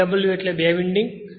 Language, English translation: Gujarati, TW stands for two winding